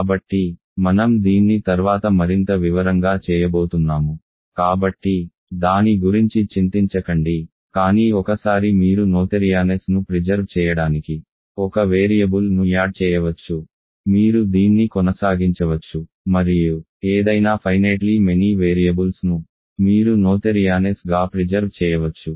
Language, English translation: Telugu, So, I am going to do this in more detail later so, do not worry about it, but once you can adjoin one variable to preserve noetherianess, you can keep doing this and any finitely many variables you will preserve noetherianess